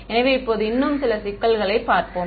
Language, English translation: Tamil, So, now let us look at a few more issues